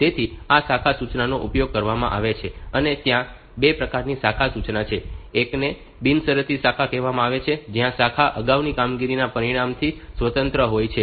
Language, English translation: Gujarati, So, these branch instructions are used and there are 2 types of branch instructions one is called this one is called this unconditional branch, where the branching is independent of the outcome of previous operation